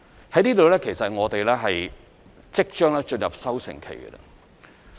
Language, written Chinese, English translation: Cantonese, 這方面其實我們即將進入收成期。, Actually we are heading towards the harvest period in this regard